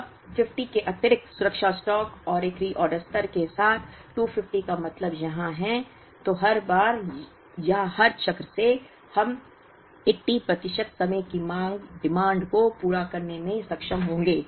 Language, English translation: Hindi, Now, with an additional safety stock of 50 and a reorder level of 250 which means here, then every time or every cycle, we will be able to meet the demand 80 percent of the times